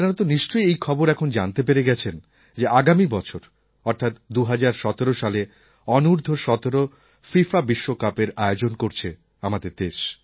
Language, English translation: Bengali, You must have come to know that India will be hosting the FIFA Under17 World Cup next year